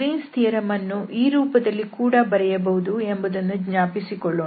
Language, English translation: Kannada, So the Greens theorem now we can write down or rewrite it again